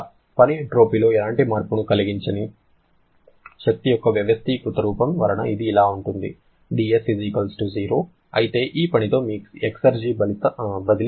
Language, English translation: Telugu, Work being organized form of energy that does not cause any kind of change in entropy and therefore it will be=0 but how much will be your exergy transfer with this work